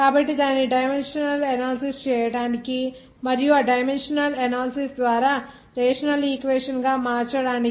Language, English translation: Telugu, So new jobs to make its dimensional analysis and make it the rational equation by that dimension analysis